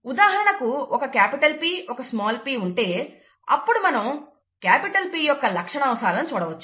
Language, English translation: Telugu, For example, if there is a capital P and a small p, the trait of capital P is what would be seen